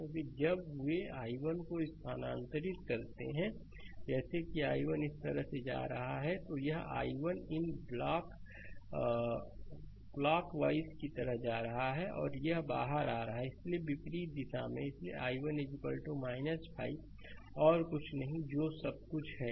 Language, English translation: Hindi, Because when they move i 1 like these i 1 is going like this, this i 1 this going like these clockwise and this is coming out, so just opposite direction, so i 1 is equal to minus 5 the nothing else that is all